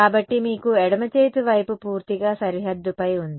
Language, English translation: Telugu, So, you have the left hand side is purely over the boundary